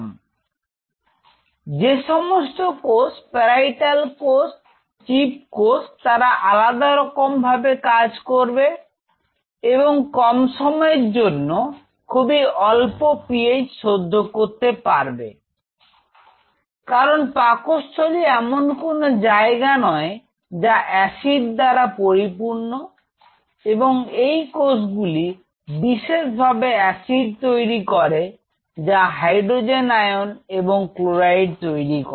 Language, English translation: Bengali, So, the cells which are involved in this is parietal cells chief cells, all these different cells; these cells can withstand at will a very low PH for a transient period of time because of course, in the stomach it is not that it is a place which is filled with acid these cells are specifically produces the acid by reacting the hydrogen iron and the chloride iron